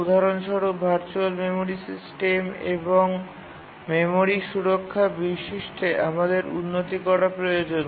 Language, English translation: Bengali, For example, in the virtual memory system and in the memory protection features, we need improvement